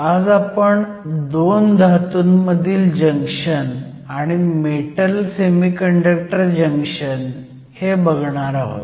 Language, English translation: Marathi, In today's class, we will focus on the Metal Metal and Metal Semiconductor Junction